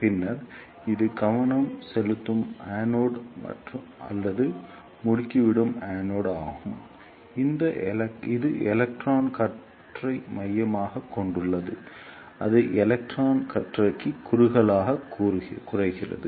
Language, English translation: Tamil, Then this is the focusing anode or accelerating anode, which focuses the electron beam or narrow downs the electron beam